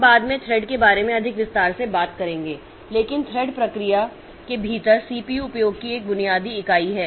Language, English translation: Hindi, We'll be talking about thread in more detail later but thread is a basic unit of CPU utilization within a process